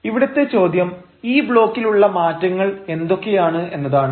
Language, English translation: Malayalam, now the question is, what is this modification in this block